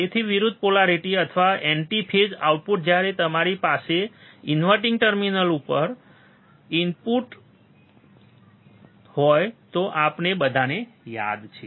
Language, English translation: Gujarati, So, opposite polarity or anti phase output when you have inverting input at the inverting terminal, right this we all remember